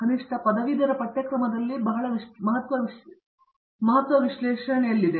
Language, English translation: Kannada, At least, in the under graduate curriculum the emphasis is on analysis